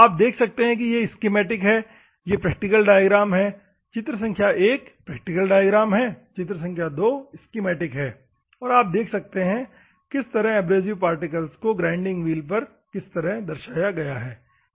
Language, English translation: Hindi, Schematically you can see here this is a schematic, this is a practical diagram, the one figure 1 is a practical diagram, figure 2 is a schematic diagram, and you can see how the abrasive particles are represented on a grinding wheel, ok